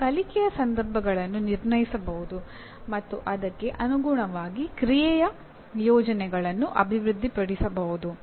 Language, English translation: Kannada, He can also assess learning situations and develop plans of action accordingly